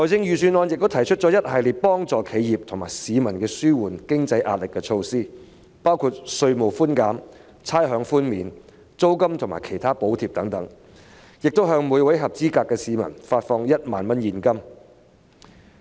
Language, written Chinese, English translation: Cantonese, 預算案亦提出了一系列為企業及市民紓緩經濟壓力的措施，包括稅務寬減、差餉寬免、租金及其他補貼等，亦會向每名合資格市民發放1萬元現金。, The Budget also proposes a series of measures to alleviate the financial pressure of enterprises and members of the public including tax reduction rates concession rental and other subsidies and a cash payout of 10,000 to each eligible member of the public